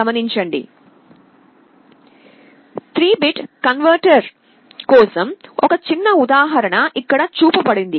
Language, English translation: Telugu, One small example is shown here for a 3 bit converter